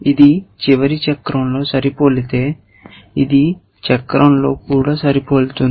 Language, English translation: Telugu, If it was matching in the last cycle, it will match in the, this cycle as well